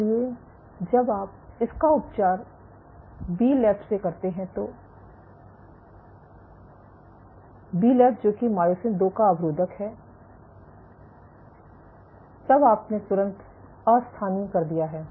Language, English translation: Hindi, So, when you treat it with Bleb which is the inhibitor of myosin 2 then you have immediate delocalized